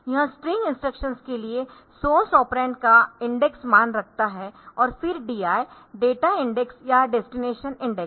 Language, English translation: Hindi, So, this hold the index value of the source operand for the string instructions and DI data index or destination index